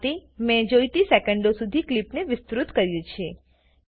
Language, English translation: Gujarati, In this manner, I have extended the clip by the required number of seconds